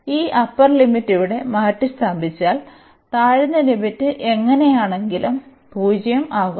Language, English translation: Malayalam, So, substituting this upper limit here, the lower limit will make anyway this 0